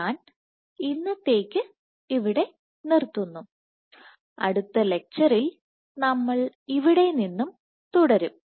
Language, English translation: Malayalam, So, I stop here for today and we will continue from here in the next lecture